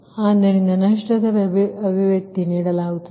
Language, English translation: Kannada, and at another thing is a loss expression is given